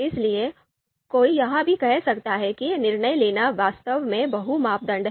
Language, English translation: Hindi, So one might also say that decision making is actually multi criteria